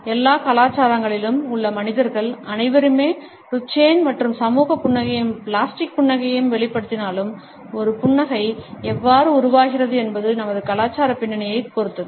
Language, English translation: Tamil, Though all of us all human beings in all cultures exhibit both Duchenne and social smiles as well as plastic smiles, we find how a smile is generated depends on our cultural background